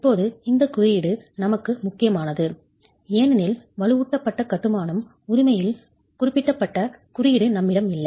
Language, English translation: Tamil, Now, this code is important for us because we do not have a specific code on reinforced masonry, right